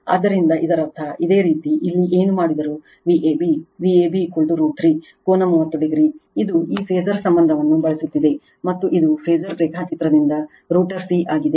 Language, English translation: Kannada, So, that means, whatever you did here that your V a b, V a b is equal to root 3 V p angle 30 degree, this is using this phasor relationship and this is from the phasor diagram is rotor c right